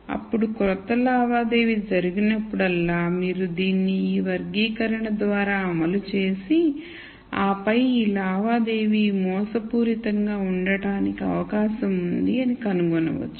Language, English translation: Telugu, Then, whenever a new transaction takes place you could run it through this classifier and then find the likelihood of this transaction being fraudulent